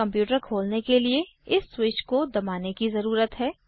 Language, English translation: Hindi, To turn on the computer, one needs to press this switch